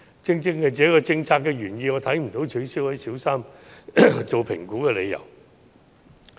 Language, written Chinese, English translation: Cantonese, 正正是這項政策的原意，讓我看不到取消小三評估的理由。, It is precisely due to this policys original intent that I see no reason to scrap the Primary 3 assessment